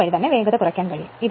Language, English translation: Malayalam, So, in that way speed can be reduced right